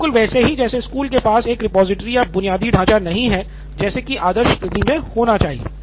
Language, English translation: Hindi, In case school does not have a repository or infrastructure like what we would ideally require